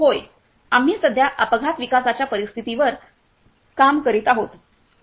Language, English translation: Marathi, Yes, so we are currently working on an accident development scenario